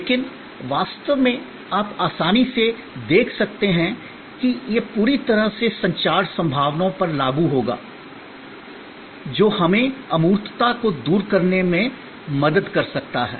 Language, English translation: Hindi, But, actually you can easily see that, this will apply to the entire range of communication possibilities, that can help us overcome intangibility